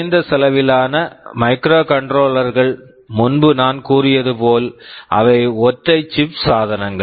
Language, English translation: Tamil, Now as I had said for low cost microcontrollers, that they are single chip devices